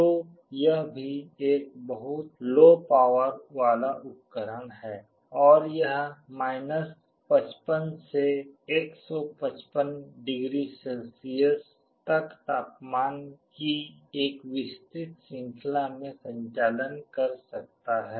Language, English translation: Hindi, So, it is also a very low power device, and it can operate over a wide range of temperatures from 55 to +155 degree Celsius